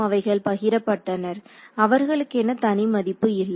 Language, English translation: Tamil, So, they shared they do not have a separate value